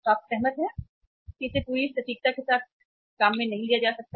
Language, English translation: Hindi, Agreed that it cannot be worked out with the total precision